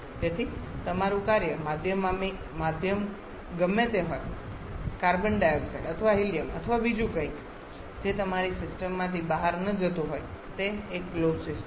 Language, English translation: Gujarati, So, whatever your working medium carbon dioxide or helium or what is something else that is not going out of your system it is a closed system